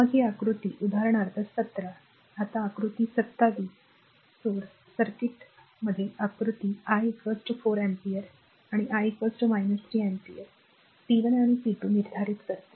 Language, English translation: Marathi, Then this figure this is for example, 17 now figure 27 sources circuit diagram determine p 1 and p 2 for I is equal to 4 ampere and I is equal to minus 3 ampere right